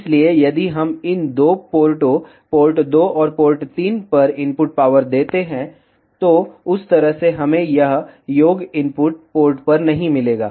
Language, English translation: Hindi, So, if we give input power at these two ports port 2 and port 3, then in that way we will not get this sum at input port